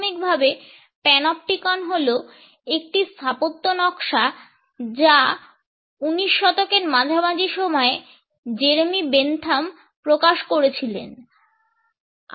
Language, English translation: Bengali, The Panopticon is initially an architectural design which was put forth by Jeremy Bentham in the middle of the 19th century